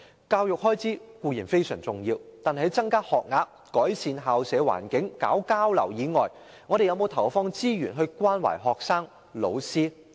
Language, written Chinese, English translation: Cantonese, 教育開支固然非常重要，但在增加學額、改善校舍環境和推行交流外，政府有否投放資源關懷學生及老師呢？, True education expenditure is very important; but then apart from increasing school places improving campus environments and implementing exchange programmes has the Government allocated any resources to offer care for students and teachers?